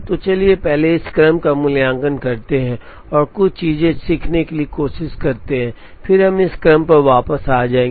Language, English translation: Hindi, So, let us first evaluate this sequence and try to learn a few things then we will come back to this sequence